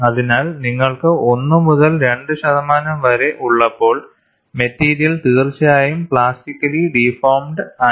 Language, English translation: Malayalam, So, when you have 1 to 2 percent, the material has definitely deformed plastically